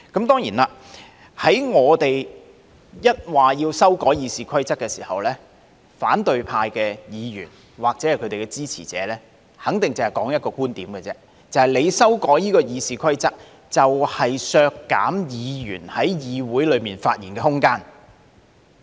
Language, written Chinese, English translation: Cantonese, 當然，當我們表示要修改《議事規則》時，反對派議員或其支持者肯定只說出一種觀點：修改《議事規則》，就是削減議員在議會內發言的空間。, When we raise the necessity to amend the Rules of Procedure opposition Members or their supporters will definitely put forth one viewpoint only the point that any amendments to the Rules of Procedure are precisely intended to reduce the room for Members speeches in the legislature